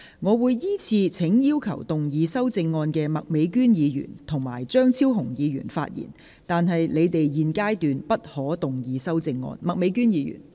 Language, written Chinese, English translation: Cantonese, 我會依次請要動議修正案的麥美娟議員、邵家臻議員及張超雄議員發言，但他們在現階段不可動議修正案。, I will call upon Members who will move the amendments to speak in the following order Ms Alice MAK Mr SHIU Ka - chun and Dr Fernando CHEUNG but they may not move their amendments at this stage